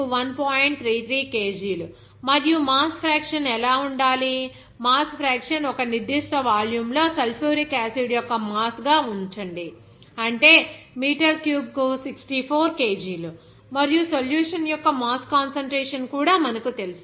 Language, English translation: Telugu, 33 kg per second and what should be the mass fraction, very interesting that mass fraction, you know, that what would be mass of the sulfuric acid in a certain volume, that is 64 kg per meter cube and also you know that mass concentration of the solution